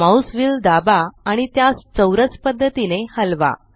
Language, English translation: Marathi, Press down your mouse wheel and move the mouse in a square pattern